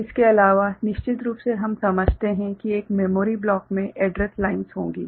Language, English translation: Hindi, And other than that the memory of course, we understand that in a memory block there will be an address lines ok